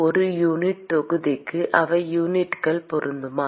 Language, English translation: Tamil, per unit volume, are they units matching